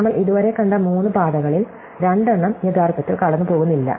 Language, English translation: Malayalam, So, of the three paths, that we had seen so far, two actually do not go through